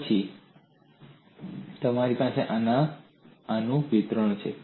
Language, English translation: Gujarati, Then you have extension of this